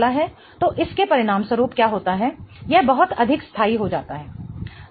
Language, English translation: Hindi, So, what happens is as a result of this, this becomes much more stable